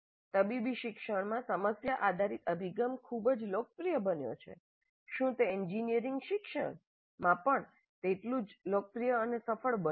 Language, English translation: Gujarati, While in medical education problem based approach has become very popular, has it become equally popular and successful in engineering education wherever they have implemented